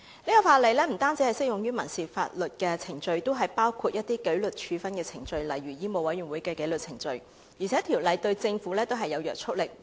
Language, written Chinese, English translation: Cantonese, 這項法例不單適用於民事法律程序，也包括紀律處分程序，例如香港醫務委員會的紀律程序；而《條例草案》對政府也具有約束力。, We believe the court can make a fair judgment . This law is not only applicable to civil proceedings but also disciplinary procedures such as the disciplinary procedures of the Medical Council of Hong Kong . Furthermore the Bill is binding to the Government too